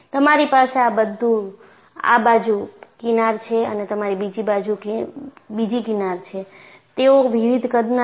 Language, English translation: Gujarati, So, you have fringe on this side and you have fringe on the other side; they are of different sizes